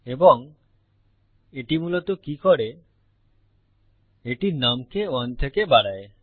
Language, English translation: Bengali, And what it basically does is, it increases num by 1